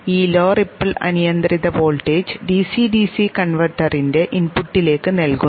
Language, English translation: Malayalam, This low ripple unregulated voltage is fed to the input of the DC DC converter